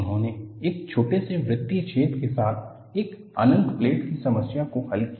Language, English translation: Hindi, He solved the problem of an infinite plate with a small circular hole